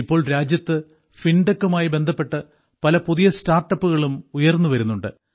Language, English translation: Malayalam, Now many new startups related to Fintech are also coming up in the country